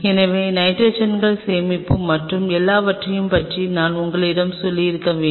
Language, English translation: Tamil, So, you have to have I told you about the nitrogens storage and everything